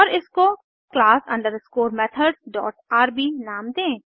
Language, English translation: Hindi, And name it class underscore methods dot rb